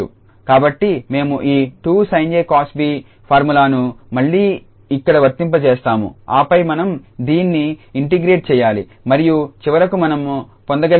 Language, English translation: Telugu, So, we apply this 2 sin a cos b formula here again and then we need to integrate this and finally what we will obtain that will be just half t and sin t